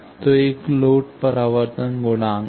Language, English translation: Hindi, So, there is a load reflection coefficient